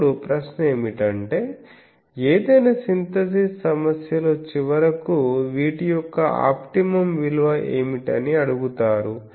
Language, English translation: Telugu, Now, the question is which in any synthesis problem finally is asked that what is the optimum of these